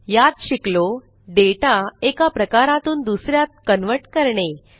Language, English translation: Marathi, In this tutorial we have learnt how to convert data from one type to another